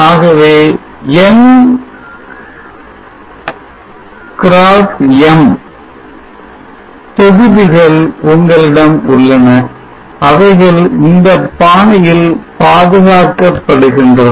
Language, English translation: Tamil, So you have N by M modules and they are protected in this fashion